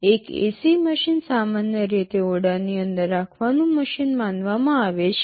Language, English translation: Gujarati, An AC machine is supposed to be housed inside a room normally